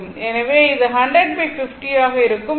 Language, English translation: Tamil, So, it will be your 100 by 50